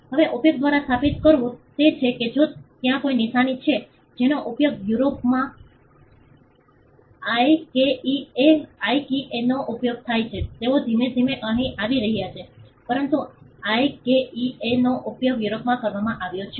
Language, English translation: Gujarati, Now, establishing by use is if there is a mark that is used in Europe like IKEA, IKEA they are slowly coming here, but IKEA has been used in Europe